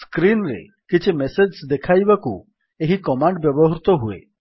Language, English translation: Odia, This command is used to display some message on the screen